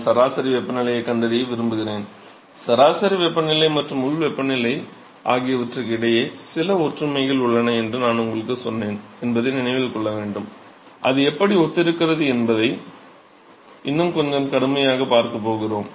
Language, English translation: Tamil, So, the objective is I want to find the mean temperature, remember I told you that the mean temperature or the average temperature, and the local temperature there is some similarity between them and therefore, we can actually see that the temperature profiles are similar